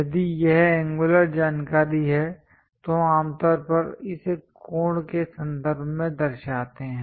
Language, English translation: Hindi, If it is angular information we usually represent it in terms of angles